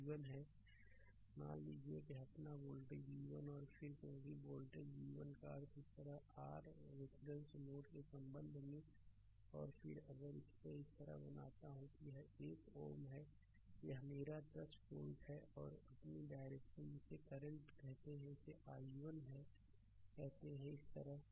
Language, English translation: Hindi, Suppose this is my voltage v 1 right and then because voltage v 1 means with respect to this your reference ah reference node right and then if I make it like this, this is one ohm this is my 10 volt right and direction of the your what we call the current this is say i 1 like this right